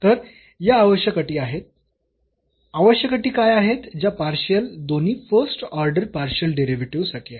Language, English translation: Marathi, So, these are the necessary conditions what are the necessary conditions that the partial both the first order partial derivatives